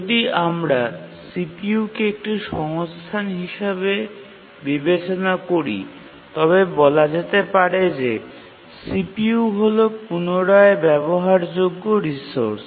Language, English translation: Bengali, If we consider CPU as a resource, we can say that CPU is a serially reusable resource